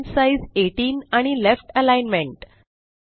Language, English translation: Marathi, Font size 18 and Left Alignment